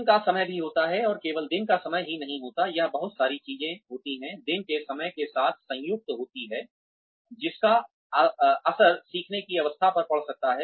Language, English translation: Hindi, Time of day also has, and not only the time of the day, it is a lot of things, combined with the time of the day, that may have an impact, on the learning curve